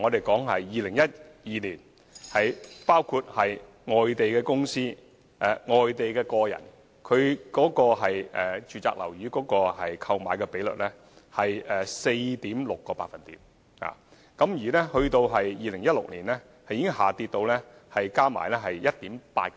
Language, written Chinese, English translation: Cantonese, 舉例來說，外地公司和外地個人買家購買住宅樓宇的比率在2012年合計為 4.6%， 到了2016年已跌至 1.8%。, For example the aggregate percentages of non - local company and individual buyers reached 4.6 % in 2012 and the percentage dropped to 1.8 % in 2016